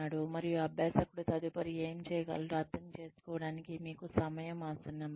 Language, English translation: Telugu, And, it is now time for you, to let the learner understand, what the learner can do next